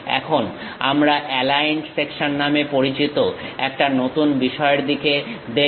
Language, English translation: Bengali, Now, we will look at a new thing named aligned section